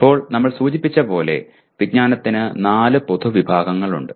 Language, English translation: Malayalam, Now, there are four general categories of knowledge which we have mentioned